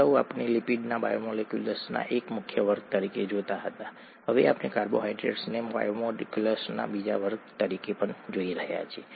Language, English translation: Gujarati, Earlier we saw lipids as one major class of biomolecules, now we are seeing carbohydrates as the second major class of biomolecules